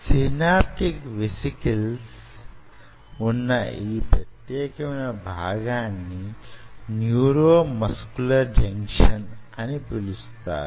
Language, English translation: Telugu, so so here you have the synaptic vesicles, or this particular part is called neuromuscular junction